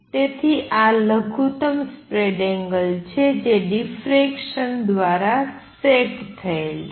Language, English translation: Gujarati, So, this is the minimum spread that is set by the diffraction